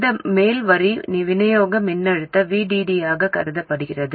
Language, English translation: Tamil, This upper line is assumed to be the supply voltage VDD